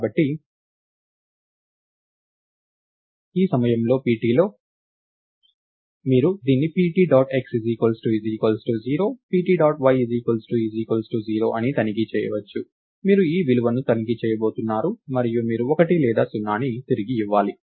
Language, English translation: Telugu, Now, you can do this check is pt dot x 0 and pt dot y is 0, so you you you are going to go and check these values and you return 1 or 0